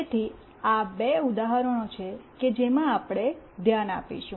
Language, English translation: Gujarati, So, these are the two examples that we will look into